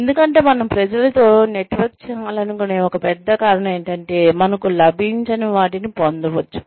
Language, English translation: Telugu, Because, one big reason, why we want to network with people is, so that, we can get, what we would not have, otherwise got